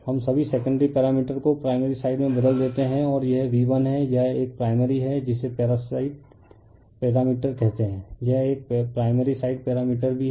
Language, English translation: Hindi, We transform all the all the secondary parameters to the primary side, right and this is my V 1, this is my this one my primary is your what you call the parasite parameter this one also primary side parameters